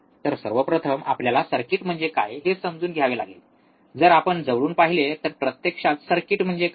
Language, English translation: Marathi, So, first thing we have to understand what is the circuit, if you see closely, right what actually the circuit is